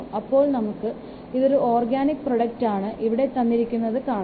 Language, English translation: Malayalam, So, you can see that here it is given that it is organic product